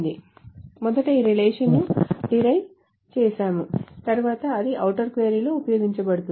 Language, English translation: Telugu, First this relation is derived then that is being used in an outer query